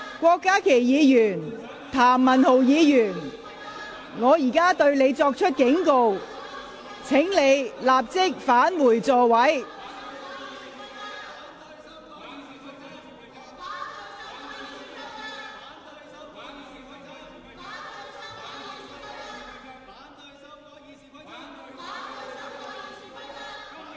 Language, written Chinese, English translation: Cantonese, 郭家麒議員、譚文豪議員，我現在向你們作出警告，請立即返回座位。, Dr KWOK Ka - ki Mr Jeremy TAM I am now giving you a warning . Please return to your seat immediately